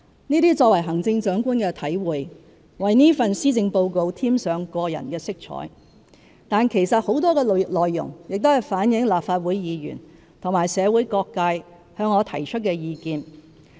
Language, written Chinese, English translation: Cantonese, 這些作為行政長官的體會，為這份施政報告添上個人色彩，但其實很多內容亦是反映立法會議員和社會各界向我提出的意見。, These realizations from my experience as the Chief Executive may have added a personal touch to this Policy Address but in fact many parts of it also reflect the views presented to me by Legislative Council Members and various sectors of the community